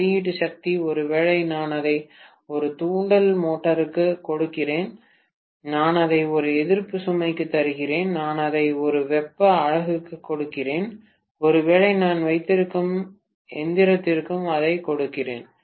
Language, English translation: Tamil, Output power, maybe I am giving it to an induction motor, I am giving it to a resistive load, I am giving it to probably a heating unit, maybe I am giving it to whatever apparatus I am having